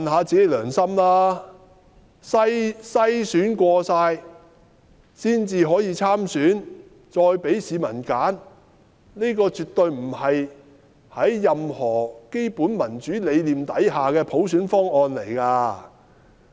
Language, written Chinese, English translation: Cantonese, 經篩選的人才可以參選，再給市民選擇，這絕對不是在任何基本民主理念之下的普選方案。, Under that package candidates must be screened before being able to run in the election or be elected by members of the public . That was by no means a universal suffrage package under any basic concepts of democracy